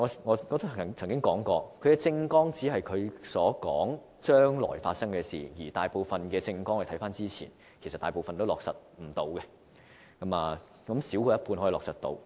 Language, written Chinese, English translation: Cantonese, 我曾經說過，他們的政綱只是說將來會發生的事，而按過去的經驗，大部分政綱承諾都無法落實，少於一半的承諾能夠落實。, According to past experience most of the promises made in election manifestos could not be fulfilled and only fewer than half were realized in the end